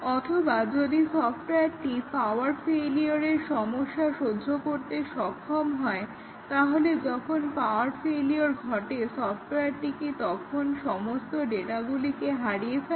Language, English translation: Bengali, Or, let us say if the software is mentioned to tolerate power failure, so when power failure occurs, does it lose all the data or does it save the data before the power failure occurs